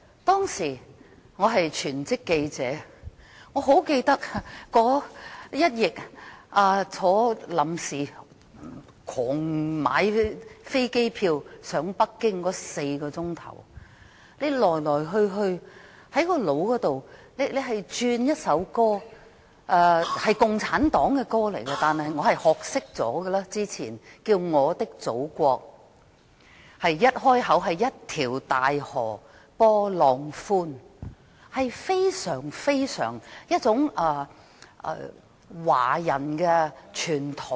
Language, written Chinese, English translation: Cantonese, 當時，我是全職記者，清楚記得這一役，在倉促購買機票飛往北京的4小時內，腦海裏只有一首我早前學會唱的共產黨的歌，叫"我的祖國"，歌詞的首句是，"一條大河波浪寬"，非常有華人傳統。, Being a full - time journalist back then I could vividly recollect what happened in those days . During the four hours when I rushed to buy an air ticket to Beijing my mind was only filled with a Chinese communist song My Motherland that I learnt to sing earlier . The first line of the lyrics is a great river flows its waves wide and calm